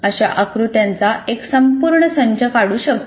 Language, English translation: Marathi, One can draw a whole set of this kind of diagrams